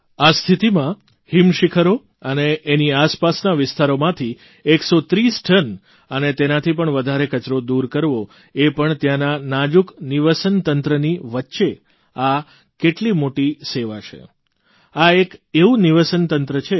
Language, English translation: Gujarati, In this scenario, to remove 130 tons and more of garbage from the glacier and its surrounding area's fragile ecosystem is a great service